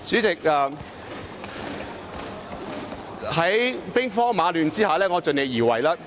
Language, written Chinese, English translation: Cantonese, 在兵荒馬亂的情況下，我會盡力而為。, In such a chaotic situation I will do my best